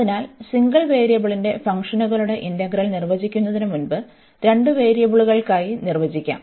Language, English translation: Malayalam, So, the integral of functions of single variable, so before we define for the two variables